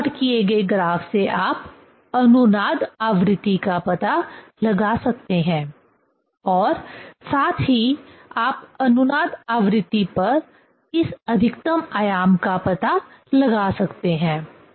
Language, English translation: Hindi, From that plotting, plotted graph you can find out the resonance frequency as well as you can find out this maximum amplitude at resonance frequency ok